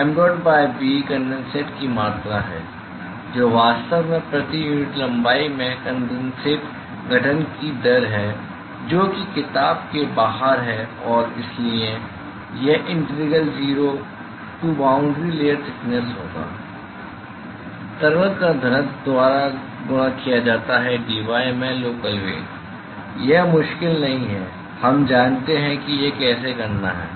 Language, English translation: Hindi, So, mdot by b is the amount of condensate, that is actually formed rate of condensate formation per unit length which is outside the book and so, that will be integral zero to up to boundary layer thickness the density of the liquid multiplied by the local velocity into dy; that is not difficult we know how to do that